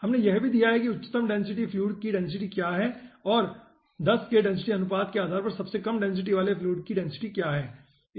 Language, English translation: Hindi, okay, and we have also given what is the density of the highest density fluid and what is the density of the lowest density fluid, depending on the density ratio of 10